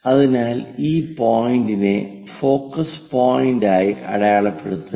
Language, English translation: Malayalam, So, mark this one as focus point